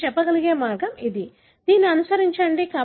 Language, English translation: Telugu, That is the way you are able to say, this follows this